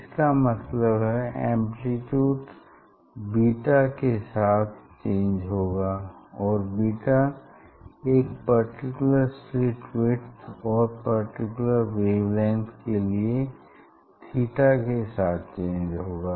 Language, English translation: Hindi, this term will change; this term will change with the beta that means, with the theta for a particular slits slit width and for a particular wavelength